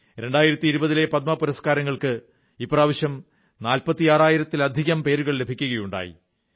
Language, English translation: Malayalam, This year over 46000 nominations were received for the 2020 Padma awards